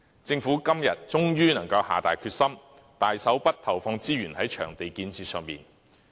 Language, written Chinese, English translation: Cantonese, 政府今年終於能夠下定決心，投放大筆資源在場地建設上。, Finally at long last the Government has made the decision this year to allocate a large amount of resources to venue development